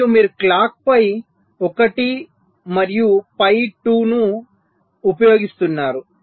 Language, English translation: Telugu, and you see you are using a clock, phi one and phi two